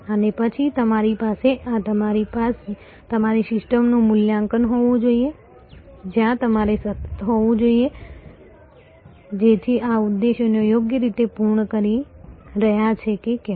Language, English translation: Gujarati, And then, of course, you must have an assessment of this your system, where you must continuously see, so that whether these objectives are properly being fulfilled